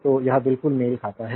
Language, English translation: Hindi, So, it is exactly matching